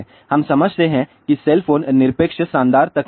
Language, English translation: Hindi, We understand that cell phone is absolute fantastic technology